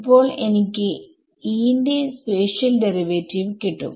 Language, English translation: Malayalam, So, I will get the spatial derivatives of E now right